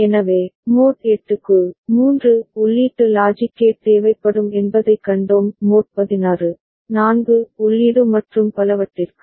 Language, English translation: Tamil, So, for mod 8, we have seen that 3 input logic gate will be required; for mod 16, 4 input and so on and so forth